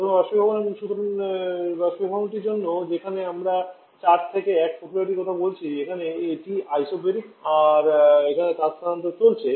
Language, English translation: Bengali, First the evaporator so for the evaporator where we are talking about the process 4 to1 here it is isobaric and there is a heat transfer going on